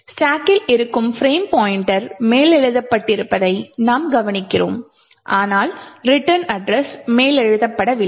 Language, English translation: Tamil, We note that the frame pointer present in the stack has been overwritten but not the return address